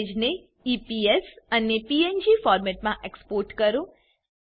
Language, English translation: Gujarati, Export the image as EPS and PNG formats